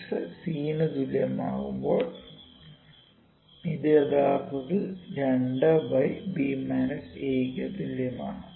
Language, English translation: Malayalam, I have put one more here it is equal to actually 2 over b minus a for x exactly equal to c